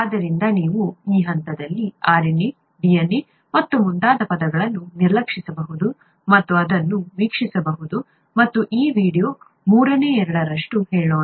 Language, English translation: Kannada, So you could ignore the terms such as RNA, DNA and so on so forth at this stage and watch this, and watch about let’s say two thirds of this video